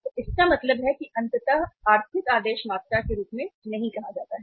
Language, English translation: Hindi, So it means ultimately that is not called as the economic order quantity